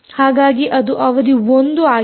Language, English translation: Kannada, so this is session one